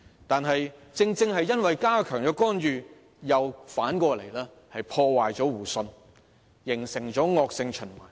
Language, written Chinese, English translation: Cantonese, 但是，正是因為加強干預，反而破壞了互信，形成惡性循環。, However greater interference will inevitably undermine mutual trust giving rise to a vicious cycle